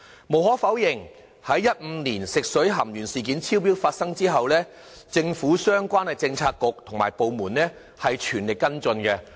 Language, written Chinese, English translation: Cantonese, 無可否認，在2015年發生食水含鉛超標事件後，政府相關政策局和部門均全力跟進。, Since the occurrence of the excess lead in drinking water incident in 2015 relevant bureaux and government departments have made all - out efforts to follow up the issue